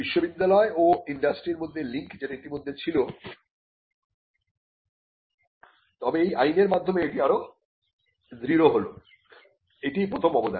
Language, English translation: Bengali, So, the link between universities and industry which was already there, but it got strengthened through this Act that was the first contribution